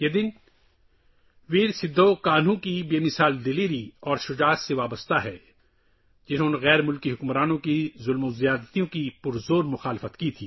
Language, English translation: Urdu, This day is associated with the indomitable courage of Veer Sidhu Kanhu, who strongly opposed the atrocities of the foreign rulers